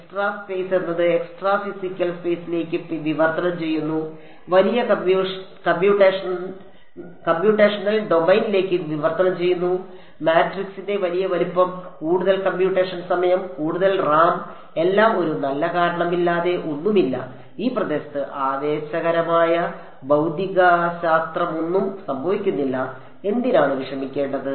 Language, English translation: Malayalam, Extra space translates to extra physical space translates to larger computational domain, larger size of matrix, more computation time more RAM everything for no good reason there is no there is nothing, there is no exciting physics happening in this region why bother